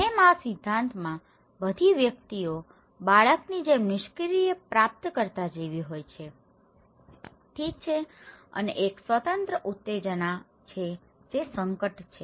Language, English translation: Gujarati, Like, in this theory all individuals are like a passive recipient like a baby, okay and there is of an independent stimulus that is the hazard